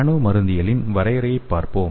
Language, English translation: Tamil, So let us see the definition of nano pharmacology